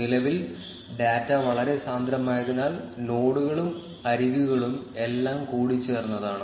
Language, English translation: Malayalam, Currently, because the data is very dense, the nodes and edges are all mixed up